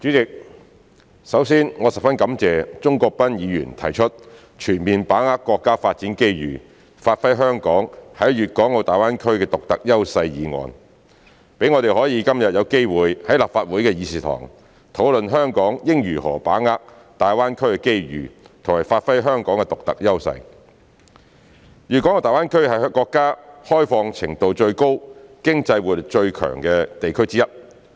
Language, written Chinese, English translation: Cantonese, 代理主席，首先，我十分感謝鍾國斌議員提出"全面把握國家發展機遇，發揮香港在粵港澳大灣區的獨特優勢"議案，讓我們今天有機會在立法會會議廳，討論香港應如何把握粵港澳大灣區的機遇及發揮香港的獨特優勢。大灣區是國家開放程度最高、經濟活力最強的地區之一。, Deputy President first of all I would like to thank Mr CHUNG Kwok - pan for proposing the motion on Fully seizing the national development opportunities to give play to Hong Kongs unique advantages in the Guangdong - Hong Kong - Macao Greater Bay Area which offers us an opportunity today to discuss in this Chamber how Hong Kong should seize the opportunities presented by the Guangdong - Hong Kong - Macao Greater Bay Area GBA and give play to its unique advantages